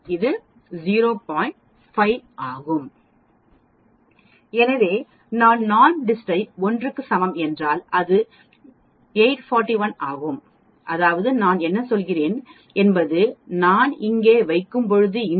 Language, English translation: Tamil, So when I put NORMSDIST is equal to 1 that is 841 that means, what I am saying is when I put it here, this side of the area is 0